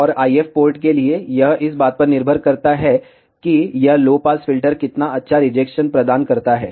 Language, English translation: Hindi, And for IF port, it depends on how good rejection this low pass filter provides